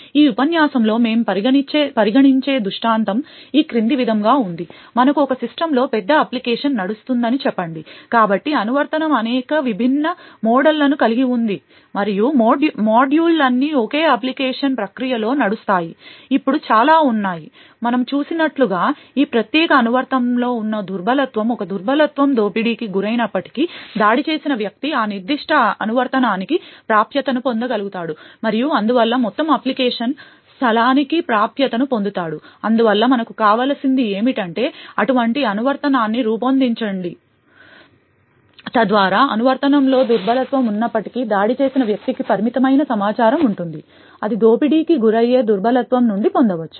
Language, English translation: Telugu, The scenario we consider in this lecture is as follows, let us say we have a large application running in a system so this application has several different models and all of these modules runs within a single application process, now let us say that there are several vulnerabilities in this particular application as we have seen therefore even if a single vulnerability gets exploited then the attacker would be able to get access to that particular application and therefore will gain access to the entire application space, thus what we need is to be able to design such an application so that even if the vulnerabilities are present in the application, the attacker will have limited amount of information that can be obtained from that exploited vulnerability